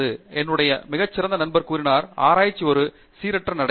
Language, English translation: Tamil, There is colleague of mine, who put it very nicely, he said, research is a random walk